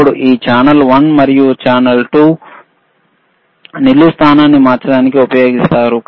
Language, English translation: Telugu, Then this channel one and channel 2 are used for changing the vertical position